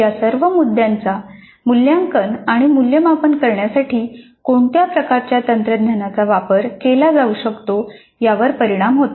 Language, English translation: Marathi, Now all these points do have a bearing on the kind of technology that can be used for assessment and evaluation